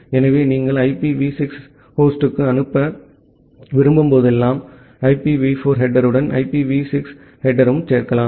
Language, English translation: Tamil, So, whenever you want to send it to IPv6 host, you add up an IPv6 header along with the IPv4 header